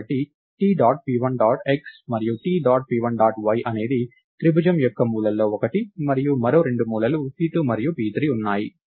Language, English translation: Telugu, So, T dot p1 dot x and T dot p1 dot y is one of the corners of the triangle and there are two other corners namely p2 and p3